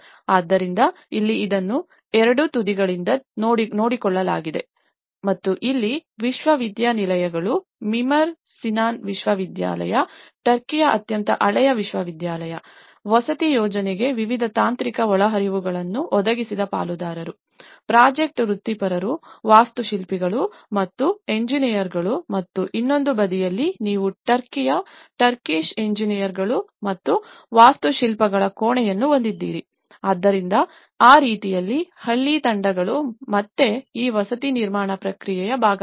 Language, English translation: Kannada, So, here the this is also looked from both the ends and here, the stakeholders where the universities, the Mimar Sinan University, the oldest university in Turkey who also provided various technical inputs to the housing project also, the project professionals, architects and engineers and on other side you have the chamber of Turkish engineers and architects, so in that way, the village teams again they are part of this housing construction process